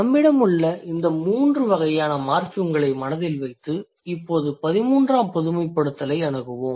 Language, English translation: Tamil, So keeping in mind mind these three kinds of morphins that we have in hand, now let's approach the generalization theory